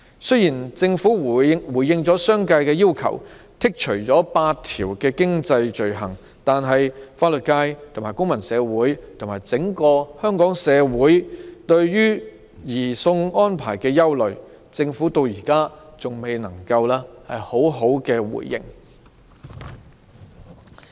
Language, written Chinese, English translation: Cantonese, 雖然政府回應了商界的要求，剔除8項經濟罪類，但對於法律界及公民社會以至整個社會對移交逃犯安排的憂慮，政府至今仍未作出回應。, Although the Government responded to the demands of the business community and excluded eight items of economic offences the Government has yet to respond to the concerns of the legal profession the civil society and our society as a whole about the surrender arrangement for fugitive offenders